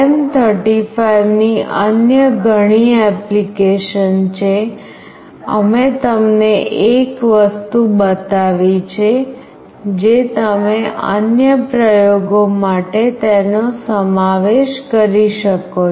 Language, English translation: Gujarati, There are various other application of LM35, we have shown you one thing, which you can incorporate and do it for other experiments